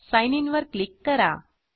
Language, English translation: Marathi, And click on Sign In